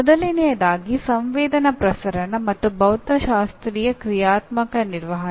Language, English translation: Kannada, First thing is sensory transmission, physio functional maintenance